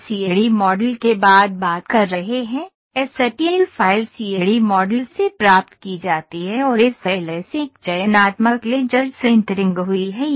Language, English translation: Hindi, So, we are talking after the CAD model received the STL file is received from the CAD model and SLS a Selective Laser Sintering has happened